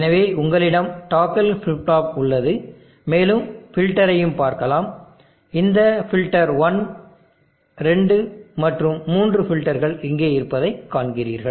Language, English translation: Tamil, So you have the toggle flip flop and we can also have a look at the filter, you see this filter 1,2 and 3 filters are here